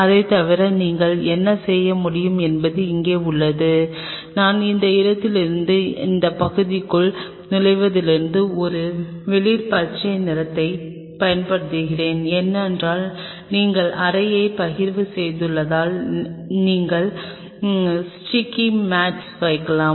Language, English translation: Tamil, And apart from it what you can do is out here I am using a light green color from entering from this one to this part, because you have partitioned the room you can put the sticky mats